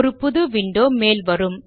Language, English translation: Tamil, A new window pops up